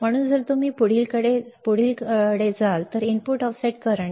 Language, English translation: Marathi, So, if you move on to the next one, input offset current